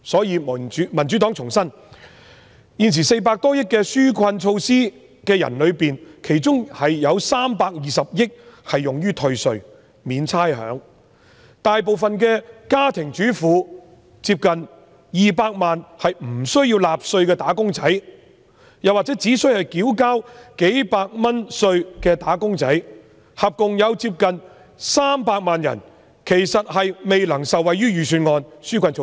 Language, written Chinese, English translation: Cantonese, 因此，民主黨重申，在現時400多億元的紓困措施中，其中320億元用於退稅及免差餉，而大部分家庭主婦及接近200萬無須納稅或只須繳交數百元稅款的"打工仔"，即共接近300萬人，其實未能受惠於預算案的紓困措施。, Thus the Democratic Party reiterates among the present 40 - plus billion earmarked for relief measures 32 billion will be spent on tax rebate and rates waiver yet the majority of housewives and close to 2 million employees who need not pay tax or only required to pay tax of several hundred dollars making up a total of 3 million people actually cannot benefit from the relief measures mentioned in the Budget